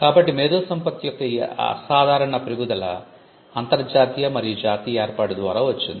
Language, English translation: Telugu, So, this phenomenal growth of intellectual property came through an international and a national arrangement